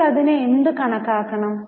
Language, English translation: Malayalam, So, what should we consider it as